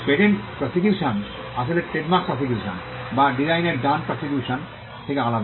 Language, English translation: Bengali, Patent prosecution actually is different from a trademark prosecution or design right prosecution